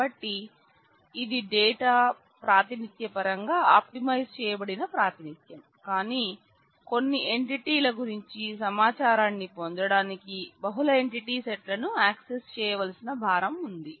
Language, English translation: Telugu, So, this is an in terms of data representation this is an optimized representation, but it has the overhead of having to access multiple entity sets to get information about certain entities